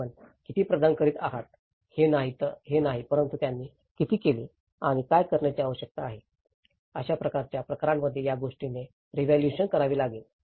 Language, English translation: Marathi, It is not how much you are providing but how much they have done and what needs to be done, this is where a reevaluation has to be done in these kind of cases